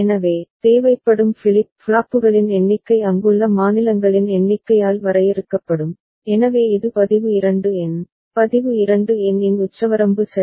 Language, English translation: Tamil, So, number of flip flops required will be defined by the number of states that is there, so it is log 2 N, the ceiling of log 2 N ok